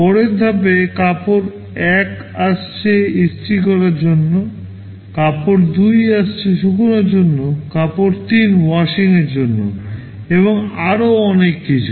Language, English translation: Bengali, Next step, cloth 1 is coming for ironing, cloth 2 is coming for drying, cloth 3 for washing and so on